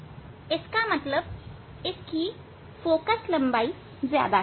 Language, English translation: Hindi, this is the approximately position for the focal length